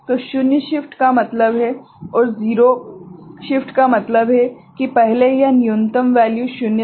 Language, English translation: Hindi, So, zero shift means earlier it was the lowest value was zero right